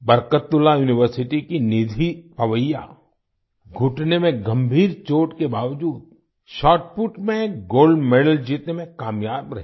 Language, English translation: Hindi, Nidhi Pawaiya of Barkatullah University managed to win a Gold Medal in Shotput despite a serious knee injury